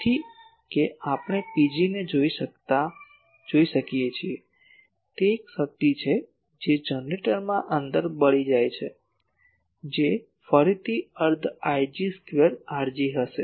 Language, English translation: Gujarati, So, that we can call P g is a power that is dissipated inside the generator that will be again half I g square R g